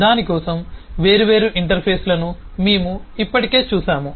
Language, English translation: Telugu, We have already seen different interfaces for it